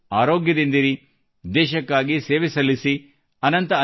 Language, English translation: Kannada, May all of you stay healthy, stay active for the country